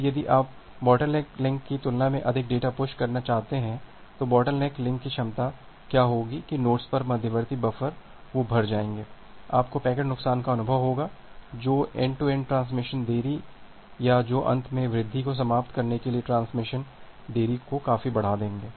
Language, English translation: Hindi, Now if you want to push more data compared to the bottleneck link, capacity of the bottleneck link, what will happen that the intermediate buffer at the nodes, they will get filled up, you will experience packet loss, which will reduce the end to end transmission delay or which would fill increase the end to end transmission delay significantly